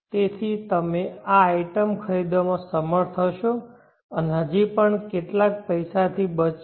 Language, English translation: Gujarati, So you will be able to purchase this item and still be leftover with some money